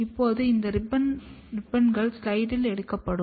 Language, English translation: Tamil, Now, these ribbons will be taken on the slide